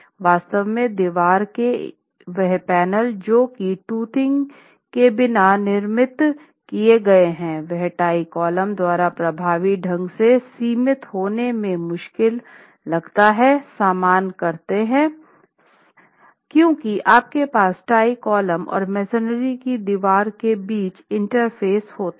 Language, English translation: Hindi, In fact, wall panels which have been constructed without towing find it difficult to get confined effectively by the tie columns because you have almost a smooth interface between the tie column and the masonry wall and the sheer transfer is a difficulty between the two elements